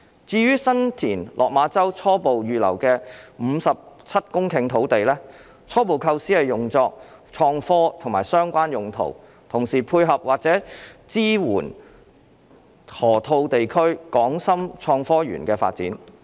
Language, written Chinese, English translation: Cantonese, 至於在新田/落馬洲初步預留的約57公頃土地，初步構思是用作創科和相關用途，同時配合或者支援河套地區港深創科園的發展。, Regarding the about 57 hectares of land preliminarily reserved in San TinLok Ma Chau it is preliminarily intended for IT industries and related uses and at the same time complementing or supporting the development of HSITP in the Loop